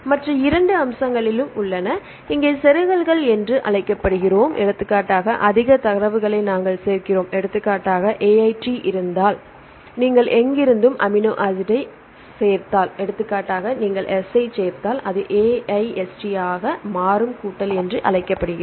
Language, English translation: Tamil, There are two other aspects one is called the insertions here we add more data more sequences right for example if there is AIT, if you add any of the amino acid in between from anywhere, for example, you add S then this will become AIST this called the addition